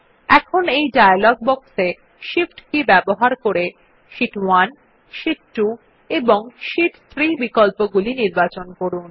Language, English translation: Bengali, Now in the dialog box which appears, using shift key we select the options Sheet 1, Sheet 2, and Sheet 3